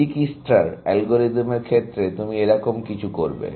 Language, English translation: Bengali, In Dijikistra’s algorithm, you would do something, very similar